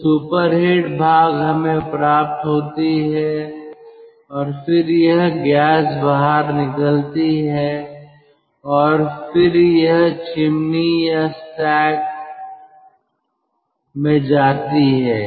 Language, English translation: Hindi, we get all right, and then this gas comes out and then it goes to a chimney or stack